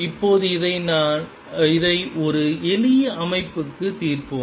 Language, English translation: Tamil, Now let us solve this for a simple system